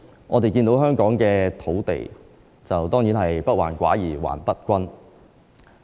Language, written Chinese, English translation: Cantonese, 我們看到香港的土地，當然是不患寡而患不均。, When we look at land in Hong Kong certainly the problem is not with scarcity but with uneven distribution